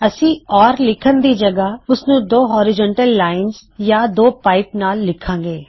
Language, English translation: Punjabi, Now we dont write it as or we write it as two horizontal lines or two pipes